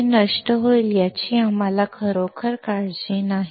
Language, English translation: Marathi, We do not really worry that it will get destroyed